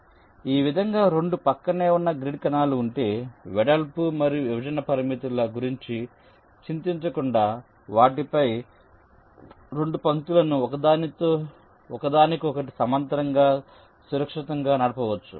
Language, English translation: Telugu, so the idea is that if there are two adjacent grid cells like this, then you can safely run two lines on them parallel to each other without worrying about the width and the separation constraints